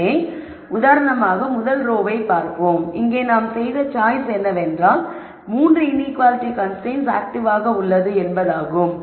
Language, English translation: Tamil, So, let us look at the rst row for example, here the choice we have made is all the 3 inequality constraints are active